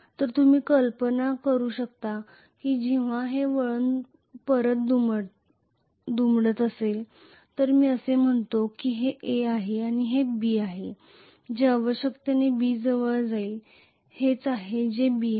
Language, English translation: Marathi, So you can imagine when this winding is folding back if I say this is A and this is B it will essentially come closer to B this is what is actually B